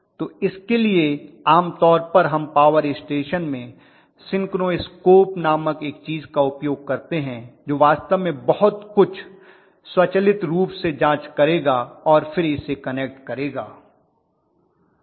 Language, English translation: Hindi, So for this generally we use something called synchro scope in the power station which actually would check automatically everything and then connect it, okay